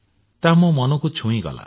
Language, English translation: Odia, It touched my heart